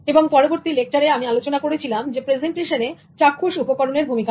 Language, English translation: Bengali, In the next lecture, the focus was completely about using visuals in presentations